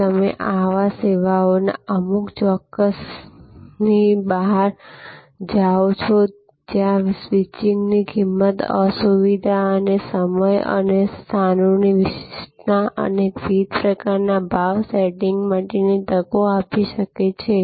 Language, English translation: Gujarati, If you go beyond there are certain times of services, where the switching cost, inconvenience and time and locations specificity can give us opportunities for different types of price setting